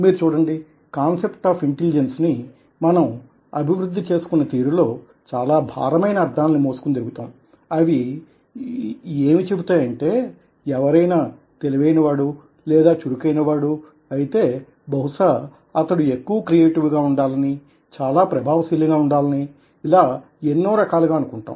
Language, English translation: Telugu, so you see that, ah, the way we developed ah the concept of intelligence, ah, we carry it with it, a kind of a meaning load which tells us that if somebody is intelligent, then probably, ah, or bright, probably he should be more creative, he should be more effective, and so on and so forth